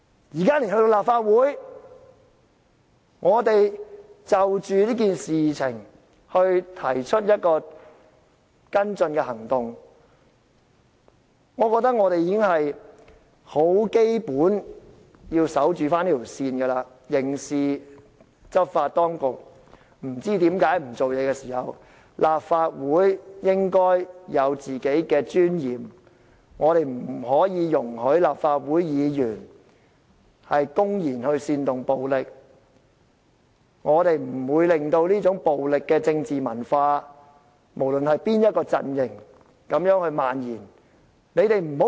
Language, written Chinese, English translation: Cantonese, 現在立法會就這件事情提出一個跟進行動，我覺得議員基本要堅守這條界線，當刑事執法當局不知為何不處理的時候，立法會應該有自己的尊嚴，不可以容許立法會議員公然煽動暴力，不可以令到這種暴力的政治文化無論在哪個陣營漫延下去。, When the Legislative Council is proposing to follow up the rally remarks now I call on Members to defend our bottom line . When the criminal enforcement authority refuses to deal with the issue out of unknown reasons the Legislative Council should have its dignity and should not allow its Members to publicly incite violence . Whatever political affiliations we belong to we should curb the proliferation of this violent political culture